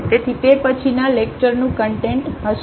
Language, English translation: Gujarati, So, that will be the content of the next lecture